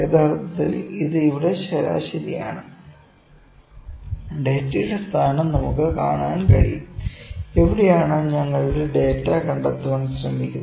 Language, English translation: Malayalam, Actually, this is median here, we can see the location of the data, where is our data trying to being located